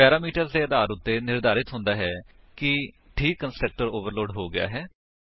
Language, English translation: Punjabi, Based upon the parameters specified, the proper constructor is overloaded